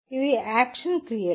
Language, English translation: Telugu, These are the action verbs